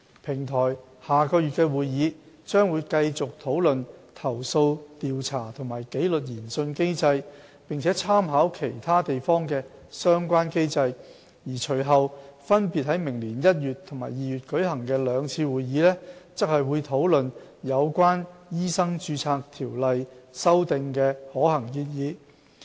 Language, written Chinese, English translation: Cantonese, 平台下月的會議將繼續討論投訴調查和紀律研訊機制，並參考其他地方的相關機制，而隨後分別在明年1月和2月舉行的兩次會議則會討論有關修訂《醫生註冊條例》的可行建議。, The Platform will continue to discuss the complaint investigation and disciplinary inquiry mechanism at the meeting next month taking reference of the relevant mechanisms of other jurisdictions . Members will then discuss possible amendment proposals to MRO at the two meetings in January and February next year . President there is a pressing need to amend MRO